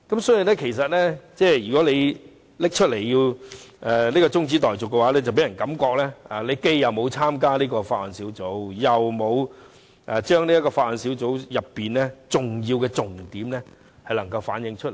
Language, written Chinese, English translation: Cantonese, 所以，他現在提出中止待續議案，便令人覺得他既沒有參加小組委員會，又沒有將小組委員會討論的重點反映出來。, So when he has proposed a motion on adjournment now it gives people the feeling that while he did not participate in the Subcommittee he also failed to present the salient points of the discussion of the Subcommittee